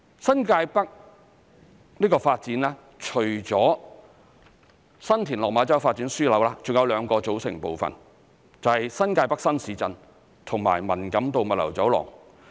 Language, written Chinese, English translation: Cantonese, 新界北發展除了新田/落馬洲發展樞紐，還有兩個組成部分，便是新界北新市鎮及文錦渡物流走廊。, In addition to the Development Node the development of New Territories North also consists of two other components namely new town in New Territories North and the Man Kam To Logistics Corridor